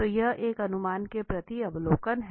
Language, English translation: Hindi, So observation towards an inference